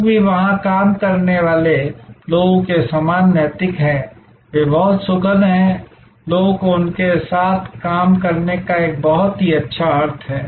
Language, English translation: Hindi, The people are also the serving people there of similar work ethic, they are very pleasant; people have a generally very good sense of working with them